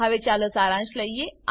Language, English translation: Gujarati, Now let us summarize